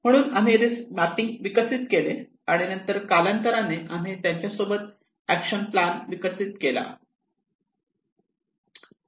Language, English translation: Marathi, So we developed risk mapping and then over the period of time we developed an action plan with them